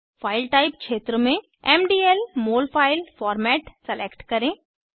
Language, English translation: Hindi, In the File type field, select MDL Molfile Format